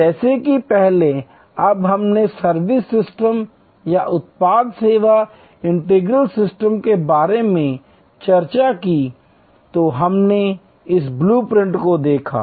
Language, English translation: Hindi, As earlier when we discussed about the servuction system or product service integral system, we looked at this blue print